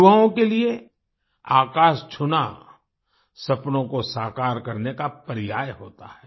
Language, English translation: Hindi, For the youth, touching the sky is synonymous with making dreams come true